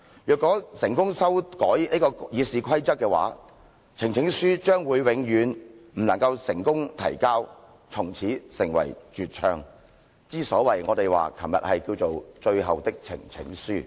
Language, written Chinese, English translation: Cantonese, 如果成功修改《議事規則》的話，呈請書將永遠不能夠成功提交，從此成為絕唱，之所以我們昨天稱為最後的呈請書。, If they succeed in amending RoP we will be unable to present any petition forever after and the presentation of petitions will become virtually extinct . That is why we call the petition we presented yesterday the final petition